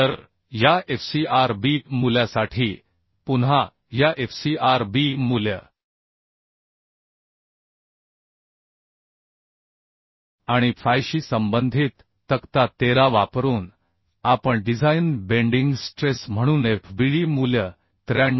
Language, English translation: Marathi, 16 So for this fcrb value again using table 13 corresponding to this fcrb value and fy we can find out fbd value as the design bending stress as 93